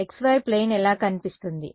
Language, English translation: Telugu, What does the x y plane look like